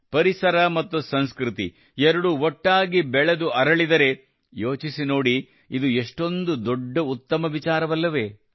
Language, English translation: Kannada, If both Ecology and Culture grow together and flourish…, just imagine how great it would be